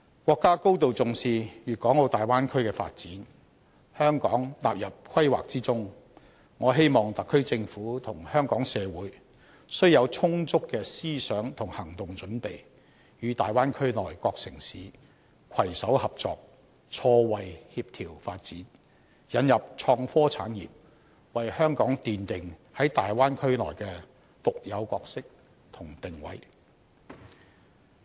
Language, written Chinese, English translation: Cantonese, 國家高度重視大灣區的發展，香港納入規劃之中，我希望特區政府和香港社會須有充足的思想和行動準備，與大灣區內各城市攜手合作、錯位協調發展，引入創科產業，為香港奠定在大灣區內的獨有角色和定位。, Our country has attached great importance to the development of the Bay Area and Hong Kong has been included in the plan . I hope that the SAR Government and Hong Kong society will be adequately prepared in mind and in action to collaborate with other cities of the Bay Area for coordinated mismatched development and the introduction of innovation and technology industries so as to establish the unique role and position of Hong Kong in the Bay Area